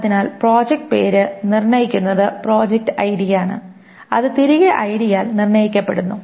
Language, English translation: Malayalam, So because project name is determined by project ID, which in turn is determined by ID